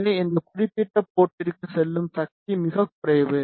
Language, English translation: Tamil, So, the power going to that particular port is very less